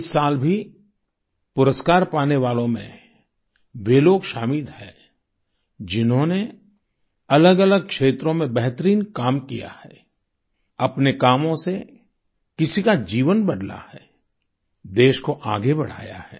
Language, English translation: Hindi, This year too, the recipients comprise people who have done excellent work in myriad fields; through their endeavour, they've changed someone's life, taking the country forward